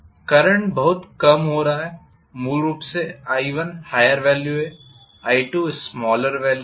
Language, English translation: Hindi, The current is decreasing originally i1 is the higher value i2 is the smaller value